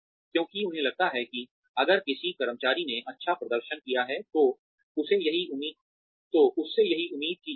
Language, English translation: Hindi, Because, they feel that, if an employee has performed well, that is what is expected of them